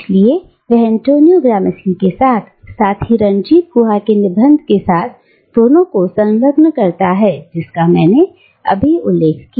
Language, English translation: Hindi, So she engages both, with Antonio Gramsci, as well as with the essay of Ranajit Guha that I have just mentioned